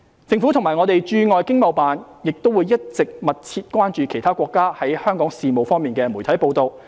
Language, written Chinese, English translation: Cantonese, 政府及各駐海外經貿辦亦一直密切關注其他國家在香港事務方面的媒體報道。, The Government and overseas ETOs have been paying close attention to local media reports of other countries on Hong Kong affairs